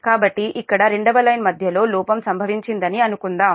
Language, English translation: Telugu, so suppose fault has occurred at this middle of the line, second line here